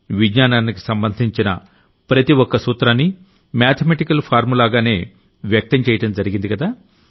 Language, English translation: Telugu, Every principle of science is expressed through a mathematical formula